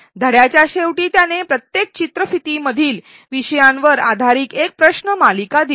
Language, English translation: Marathi, At the end of the module he gave a quiz based on the topics in each of the videos